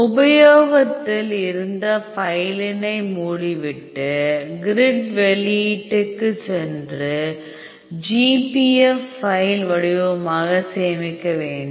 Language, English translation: Tamil, Go to file close saving current go to grid output save as a GPF file format